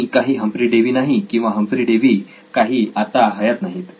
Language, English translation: Marathi, I am not Humphry Davy and Humphry Davy is not here anymore right